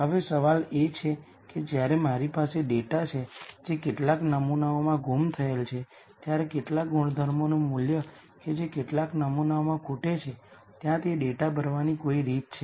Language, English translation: Gujarati, Now, the question is when I have data that is missing in some samples some attribute values that are missing in some samples, is there some way to fill in that data